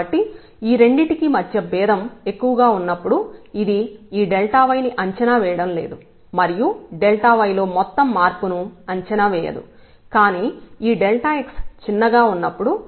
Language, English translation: Telugu, So, the difference is large between the 2 its it is not approximating this dy is not approximating this total change in y, but when the when this delta x is smaller